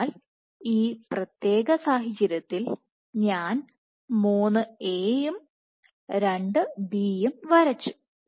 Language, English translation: Malayalam, So, in this particular case I have drawn these 3 As and 2 Bs